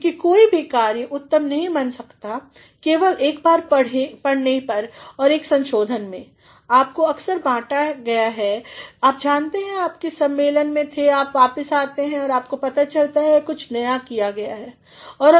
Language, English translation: Hindi, Because no work can become perfect just in one reading and one revision, you have shared sometimes you know you have attended a conference and you come back and you come to know that something new has been done